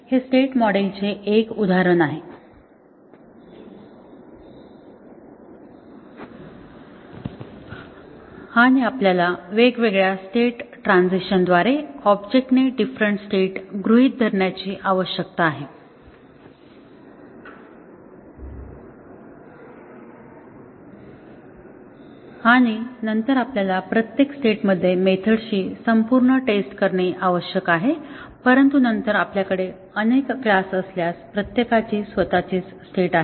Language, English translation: Marathi, So, this is an example of a state model and we need to have the object assume different states through the different state transitions and then we need to do full testing of the methods in each of the states, but then if we have multiple classes to be tested each one has its own state